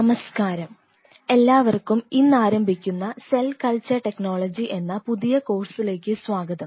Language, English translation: Malayalam, Good evening, and welcome you all to this new course which will be starting today on cell culture technology